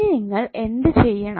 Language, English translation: Malayalam, Now what do you have to do